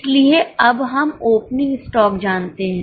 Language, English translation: Hindi, We also know the opening stock